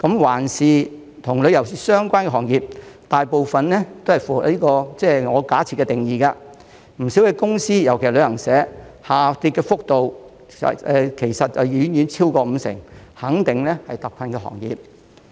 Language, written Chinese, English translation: Cantonese, 環顧與旅遊相關的行業，大部分也符合我假設的定義，不少公司下跌幅度其實遠超五成，肯定是特困行業。, As we can see most tourism - related industries fall under my hypothetical definition and the revenue of many companies especially travel agencies have actually fallen by far more than 50 %